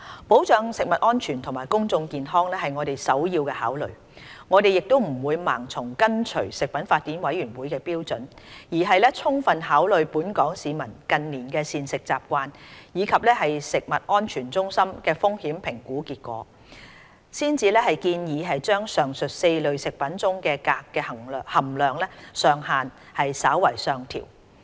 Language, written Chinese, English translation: Cantonese, 保障食物安全和公眾健康是我們的首要考慮，我們不會盲目跟隨食品法典委員會的標準，而是充分考慮本港市民近年的膳食習慣，以及食安中心的風險評估結果，才建議將上述4類食物中鎘的含量上限稍為上調。, Protection of food safety and public health is our prime consideration . We would not blindly follow the Codex standards but only slightly adjust upward the standard for cadmium content in the aforementioned four food groups after comprehensive consideration of the dietary habits of the local population in recent years and the results of risk assessment studies conducted by CFS